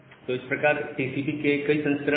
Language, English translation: Hindi, So, there are lots of such variants of TCP